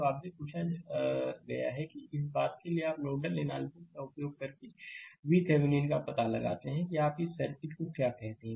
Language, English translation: Hindi, So, you have been ask that for this thing you find out V Thevenin using nodal analysis using your what you call the this circuit only